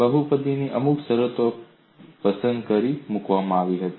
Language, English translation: Gujarati, Certain terms of the polynomials were selected, and put